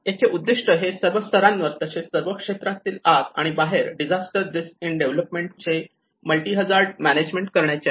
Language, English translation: Marathi, It aims to guide the multi hazard management of disaster risk in development at all levels as well as within and across all sectors